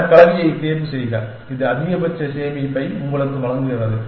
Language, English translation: Tamil, Choose that combination, which gives you the maximum savings essentially